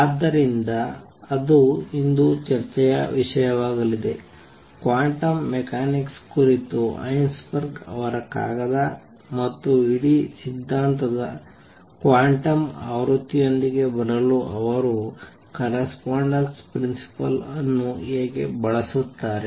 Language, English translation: Kannada, So, that is going to be the topic of discussion today Heisenberg’s paper on quantum mechanics, and how he use correspondence principle to come up with the quantum version of the whole theory